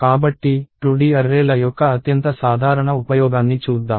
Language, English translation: Telugu, So, let us look at the most common use of 2D arrays